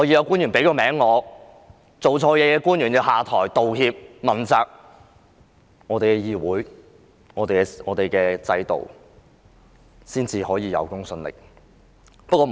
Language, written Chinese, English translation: Cantonese, 官員做錯事便要下台、道歉、被問責，這樣我們的議會和制度才可以有公信力。, If government officials have made mistakes they should step down apologize and be held accountable . Only in this way can our Council and system have credibility